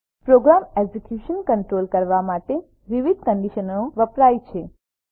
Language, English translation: Gujarati, Different conditions are used to control program execution